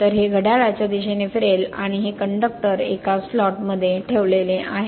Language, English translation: Marathi, So, it will rotate in the clockwise direction and this conductors are placed in a slots